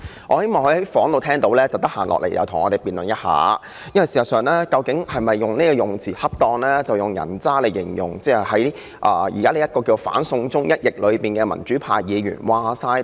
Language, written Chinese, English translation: Cantonese, 我希望他在辦公室聽到我的發言後，有時間便來跟我們辯論一下，他用"人渣"來形容反"送中"的民主派議員是否恰當。, If he happens to be listening to me in his office now I hope he will come and debate with us whether he should describe democratic Members who oppose the so - called send China bill as scum